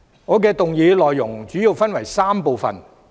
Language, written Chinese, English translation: Cantonese, 我的議案內容主要分為3部分。, My motion consists of three main parts